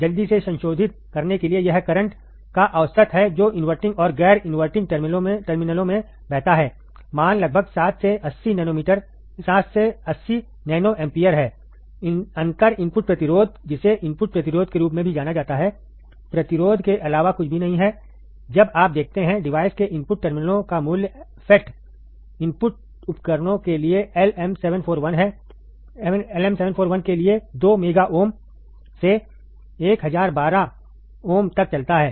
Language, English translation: Hindi, To quickly revise, it is the average of the current that flows in the inverting and non inverting terminals, the value is around 7 to 80 nano ampere, differential input resistance also known as input resistance is nothing but the resistance, when you look at the input terminals of the device, the value runs from 2 mega ohms for LM741 to 1012 ohms for FET input devices